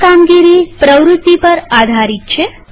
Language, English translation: Gujarati, This role depends on the activity